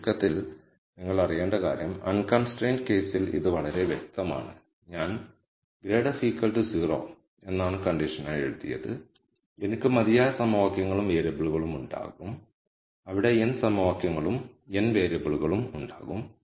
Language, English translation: Malayalam, So, in summary what you need to know is that in the unconstrained case it is very clear that I just simply write this grad of f is 0 as the condition and I will have enough equations and variables there will be n equations and n variables